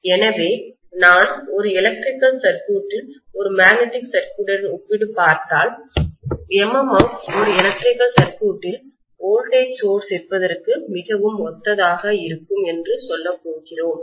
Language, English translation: Tamil, So we are going to say that if I compare an electrical circuit with that of a magnetic circuit, MMF will be very analogous to whatever is the voltage source in an electrical circuit